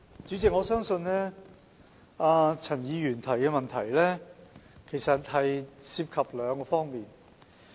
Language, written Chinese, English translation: Cantonese, 主席，我相信陳議員的補充質詢涉及兩方面。, President I believe Mr CHANs supplementary question involves two aspects